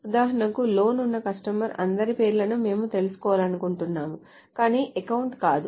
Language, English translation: Telugu, So for example, suppose we want to find out names of all customers having a loan but not an account